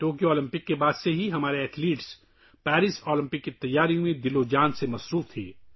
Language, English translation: Urdu, Right after the Tokyo Olympics, our athletes were whole heartedly engaged in the preparations for the Paris Olympics